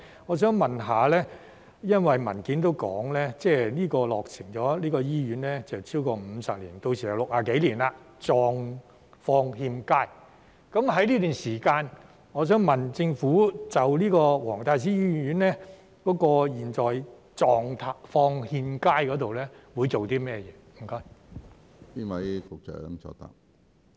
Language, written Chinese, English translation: Cantonese, 我想問，因為文件也說這間醫院已落成超過50年，屆時就是60幾年，狀況欠佳。在這段時間，我想問政府就黃大仙醫院現時狀況欠佳會做些甚麼？, I would like to ask as it is stated in the document that the hospital was completed more than 50 years ago which will be more than 60 years by then and is in an undesirable state in the meantime what will the Government do to address the undesirable state of WTSH?